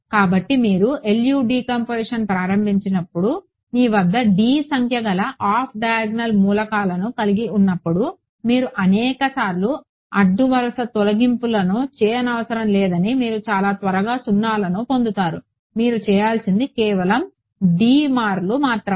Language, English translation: Telugu, So, those of you have done linear algebra they you know that when you have only d number of off diagonal elements when you start doing LU decomposition, you do not have to do row eliminations many many times you start getting 0’s very quickly only d times you have to do